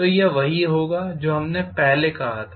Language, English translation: Hindi, So that will be from what we said earlier ei dt